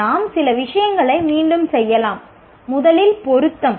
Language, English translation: Tamil, We may repeat a few things, but here, first is relevance